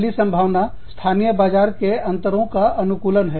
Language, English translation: Hindi, The first opportunity is, adapting to local market differences